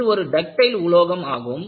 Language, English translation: Tamil, And, this is a ductile material